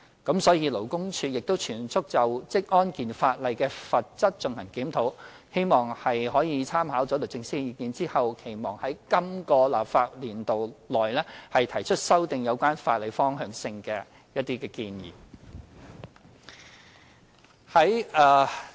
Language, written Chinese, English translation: Cantonese, 因此，勞工處亦正全速就職安健法例的罰則進行檢討，希望在參考律政司的意見後，在今個立法年度內提出一些修訂有關法例的方向性建議。, LD is therefore reviewing the penalty levels of occupational safety and health legislation in full swing . We hope that after drawing reference from the views of the Department of Justice we can recommend some directions for legislative amendments in the current legislative year